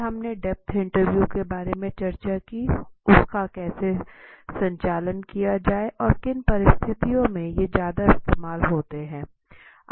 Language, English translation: Hindi, Then we also discussed about depth interviews how to conduct the depth interviews and in what situations depth interviews are therefore much use